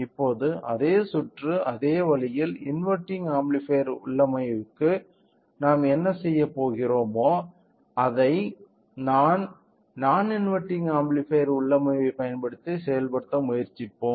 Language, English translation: Tamil, Now, we will try to realises the same circuit, the same way, whatever we have done for the inverting amplifier configuration we will also try to implement the same by using non inverting amplifier configuration to